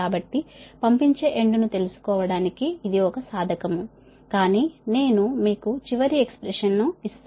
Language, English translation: Telugu, you find out for the sending end side, but i am giving you the final expression